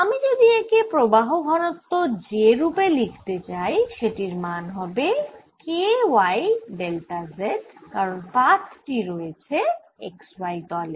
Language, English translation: Bengali, if i insist on writing this as the current density j, that this will be equal to k y delta of z, because sheet is in the x y plane